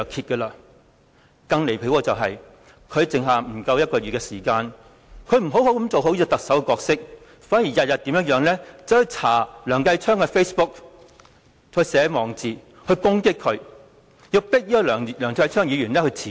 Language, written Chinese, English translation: Cantonese, 更離譜的是，他的任期餘下不足1個月，不但沒有做好特首的角色，反而每天翻查梁繼昌議員的 Facebook， 並撰寫網誌攻擊他，迫使梁議員辭職。, More ridiculous still with a remaining term of less than a month instead of playing a good role as the Chief Executive he looked up the Facebook of Mr Kenneth LEUNG day after day and wrote posts to attack him so as to force him to resign . He launched attacks at others in his transcendent status as the Chief Executive